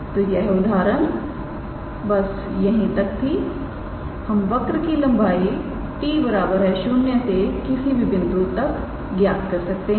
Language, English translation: Hindi, So, this example was up to here we can also measure the length of the curve from t equals to 0 to any point